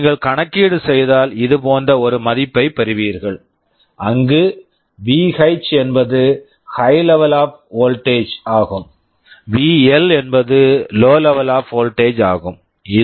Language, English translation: Tamil, If you calculate you will get a value like this, where VH is the high level of voltage, VL is the low level of voltage